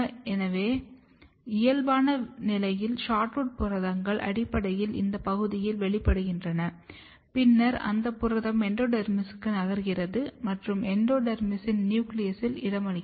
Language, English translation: Tamil, So, in normal condition SHORTROOT proteins are basically expressed in this region, and then it is protein is moving to the endodermis and you can see in endodermis, it is getting localized to the nucleus